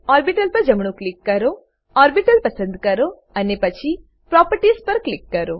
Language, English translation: Gujarati, Right click on the orbital, select Orbital then click on Properties